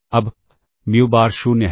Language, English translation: Hindi, Now, muBar is 0